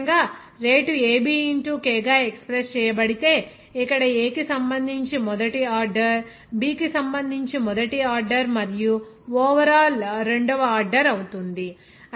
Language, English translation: Telugu, Similarly, if rate is expressed as k into AB, here first order with respect to A, first order with respect to B and will be second order overall